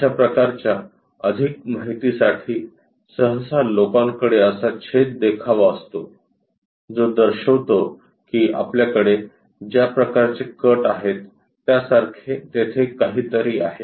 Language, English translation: Marathi, To have that kind of more information, usually people have that cut so that indicates that there is something like this kind of cut what we are going to have